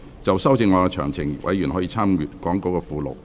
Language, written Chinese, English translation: Cantonese, 就修正案詳情，委員可參閱講稿附錄。, Members may refer to the Appendix to the Script for details of the amendment